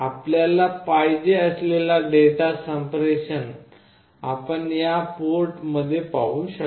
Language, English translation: Marathi, Whatever data communication you want you can see it in this port